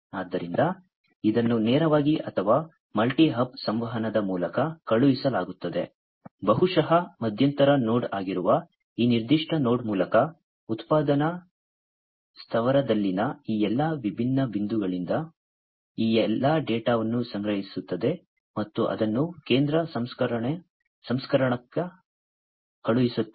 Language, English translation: Kannada, So, either it is going to be sent directly or through multi hub communication maybe through this particular node which is a intermediate node, which is going to collect all this data from all these different points in the manufacturing plant, and send it over to the central processor